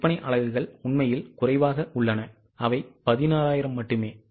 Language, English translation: Tamil, Sale units are actually less, they are only 16,000